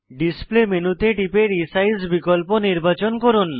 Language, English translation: Bengali, Click on Display menu and select Resize option